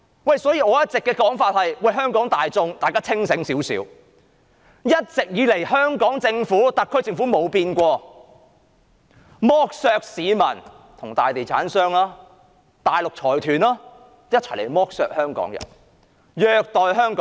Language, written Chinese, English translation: Cantonese, 因此，我一直以來也呼籲香港大眾清醒一點，要知道香港特區政府根本從沒有改變，只會與大地產商及大陸財團一同剝削市民、虐待香港人。, Hence I always call on the people of Hong Kong to stay sober . They should know that the SAR Government has never changed and that it will collude with large real estate developers and Mainland consortia to exploit the public and abuse the people of Hong Kong